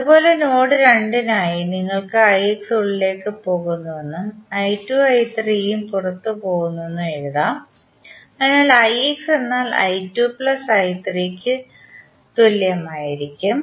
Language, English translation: Malayalam, Similarly for node 2, you can write i X is going in and i 2 and i 3 are going out, so i X would be equal to i 2 plus i 3, what is i X